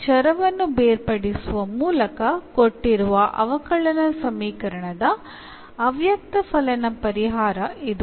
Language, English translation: Kannada, So, this is the implicit solution of the given differential equation by separating this variable